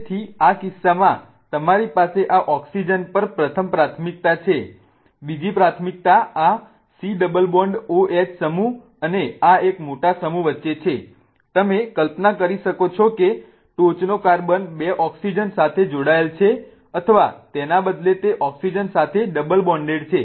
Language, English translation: Gujarati, The second priority now between this C double bond OH group and this one really big group here, you can imagine that the top carbon is attached to two oxygens or rather it is really double bonded to an oxygen